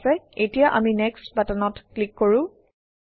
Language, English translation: Assamese, Okay, let us click on the next button now